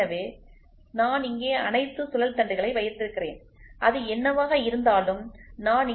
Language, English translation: Tamil, So, I have all the shafts here whatever it is I have the bolts here